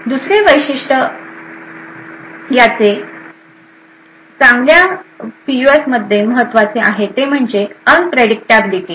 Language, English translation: Marathi, Another feature which is important in a good PUF is the unpredictability